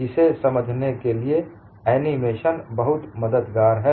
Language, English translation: Hindi, The animation is very helpful to understand this